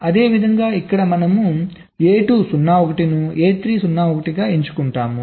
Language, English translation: Telugu, similarly, here we select a two zero one, here we select a three zero one